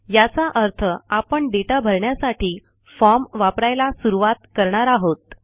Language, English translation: Marathi, Meaning we will start using the form for data entry